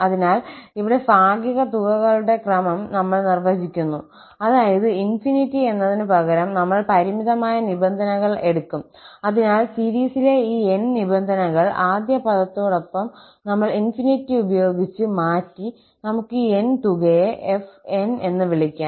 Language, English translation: Malayalam, So, here, we define the sequence of the partial sums that means instead of infinity, we will take finite number of terms, so, we have just replaced that infinity by n to have these n terms of the series together with the first term and let us call this sum as fn